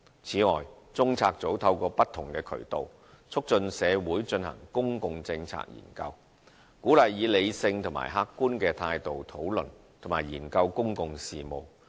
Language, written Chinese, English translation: Cantonese, 此外，中策組透過不同渠道促進社會進行公共政策研究，鼓勵以理性及客觀的態度討論及研究公共事務。, Besides through different channels CPU promotes public policy study in society and encourages discussion and study of public affairs in a rational and objective manner